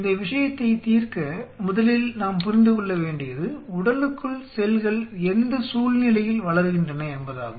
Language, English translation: Tamil, In order to address this point first of all we have to understand under what conditions of cells grow inside the body